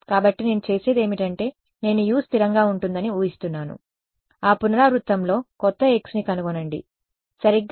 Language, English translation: Telugu, So, what I do is that I assume U to be constant at that iteration find out the new x right